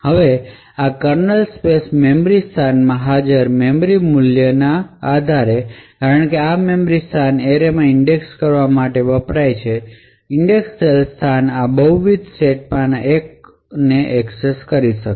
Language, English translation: Gujarati, Now depending on the value of the memories present in this kernel space memory location since this memory location is used to index into the array the indexed location may access one of these multiple sets